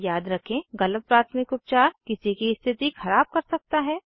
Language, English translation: Hindi, Remember, wrong first aid can make ones condition worse